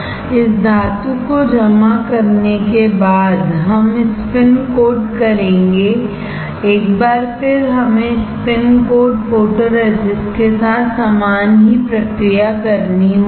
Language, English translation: Hindi, After depositing this metal we will spin coat, once again we have to do the same process with spin coat photoresist